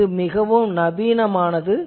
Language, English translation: Tamil, This is a very modern thing